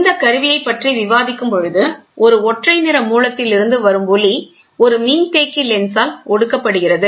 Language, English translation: Tamil, Discussing about the instrument, light from a monochromatic source is condensed by a condensing lens and focused on to an illuminating aperture